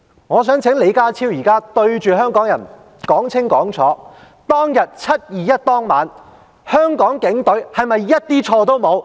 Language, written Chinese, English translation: Cantonese, 我想請李家超現在對着香港人說得清清楚楚，在"七二一"當晚，香港的警隊是否毫無做錯之處？, I would like to ask John LEE to state clearly in front of Hong Kong people Has the Hong Kong Police Force not committed the slightest error on the evening of 21 July?